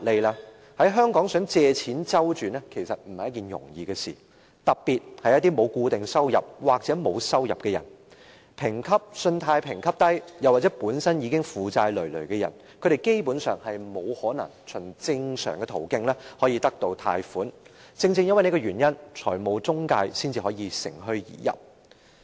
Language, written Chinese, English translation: Cantonese, 在香港想借錢周轉絕非易事，特別是沒有固定收入或沒有收入的人，信貸評級低或本身已負債累累的人，他們基本上不可能循正常途徑得到貸款，正因如此，財務中介才能乘虛而入。, In Hong Kong it is definitely not easy to borrow money to meet a cash shortfall particularly for those who do not have any income or a stable income those with low credit scores and those who are in a heavy debt for they cannot secure loans through normal channels in general . Financial intermediaries thus exploit the situation to their advantage